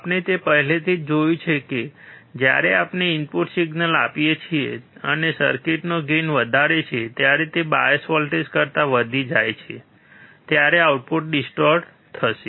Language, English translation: Gujarati, We have already seen that when we apply input signal and the gain of the circuit is high, the output will be distorted only when it exceeds the bias voltage